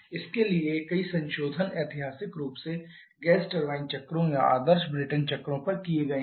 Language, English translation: Hindi, For this several modifications has been done historically on the gas turbine cycles or on the ideal Brayton cycles